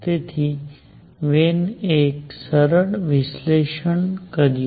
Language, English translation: Gujarati, So, Wien did a simple analysis